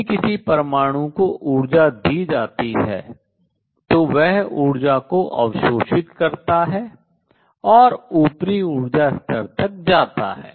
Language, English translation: Hindi, If energy is given to an atom it absorbs energy and goes to the upper energy level